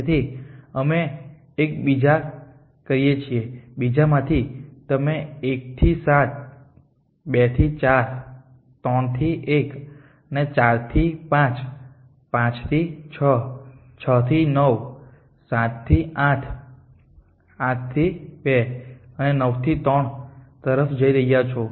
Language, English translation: Gujarati, So, let us to the other 1 in the other 1 you going from 1 to 7 from 2, 4 from 3 to 1 from 4 to 5 from 5 to 6 from 6 to 9 from 7 to 8 from 8 to 2 and from 9 to 3 S